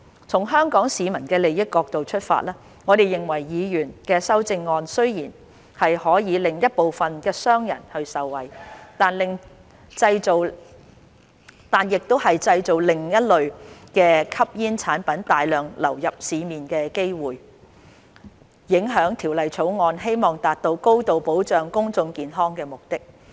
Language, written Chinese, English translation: Cantonese, 從香港市民的利益角度出發，我們認為議員的修正案雖然可令一部分商人受惠，但亦製造另類吸煙產品大量流入市面的機會，影響《條例草案》希望達到高度保障公眾健康的目的。, From the perspective of the interests of Hong Kong people we are of the view that although the Honourable Members amendment will benefit some businessmen it will also create the opportunity for a large number of ASPs to enter the market thus undermining the objective of the Bill to achieve a high level of public health protection